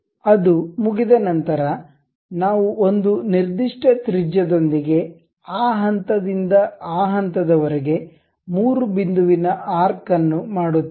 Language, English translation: Kannada, Once it is done, we make a arc 3 point arc from that point to that point with certain radius